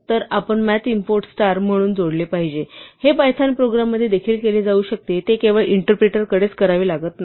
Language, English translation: Marathi, So, we must add from math import star; this can be done even within the python program it does not have to be done only at the interpreter